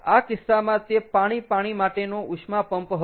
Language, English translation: Gujarati, so in that case it was a liquid water heat pump